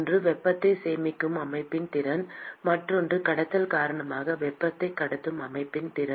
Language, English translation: Tamil, One is the ability of the system to store heat, and the other one is the ability of the system to transport heat because of conduction